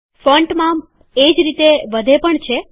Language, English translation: Gujarati, The Font Size can be increased in the same way